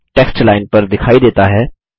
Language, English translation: Hindi, The text appears on the line